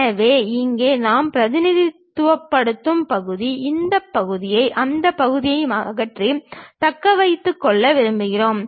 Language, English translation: Tamil, So, here that part we are representing; this part we want to remove and retain that part